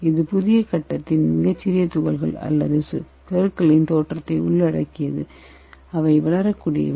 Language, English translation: Tamil, So it involves the appearance of very small particles or nuclei of the new phase which are capable of growing